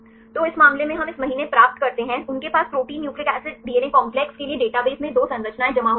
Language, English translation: Hindi, So, in this case we get this month, they have 2 structures deposited in the database for the protein nucleic acid DNA complex